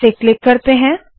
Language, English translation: Hindi, Lets click this